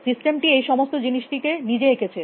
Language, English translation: Bengali, The system has drawn this whole thing itself